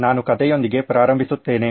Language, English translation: Kannada, Let me start out with a story